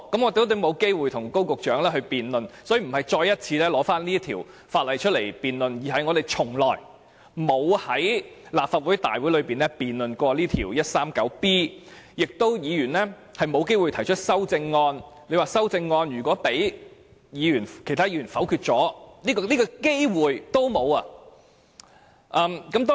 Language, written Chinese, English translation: Cantonese, 我們今天不是提出要再次辯論這項修訂規例，而是我們在立法會大會上未有機會就第 139B 章進行辯論，議員也沒有機會提出修正案，連修正案被其他議員否決的機會也沒有。, We are not proposing to debate this Amendment Regulation again today but we did not have the opportunity to debate Cap . 139B at the Council meeting and Members did not have the opportunity to propose amendments or to vote against the amendments